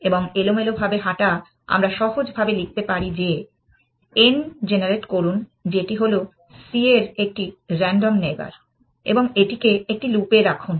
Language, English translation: Bengali, And random walk, we can simply write as saying generate n is a random neighbor of c and put this in a loop